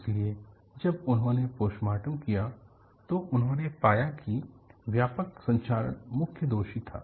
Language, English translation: Hindi, So, when they did the postmortem, they found that widespread corrosion was the main culprit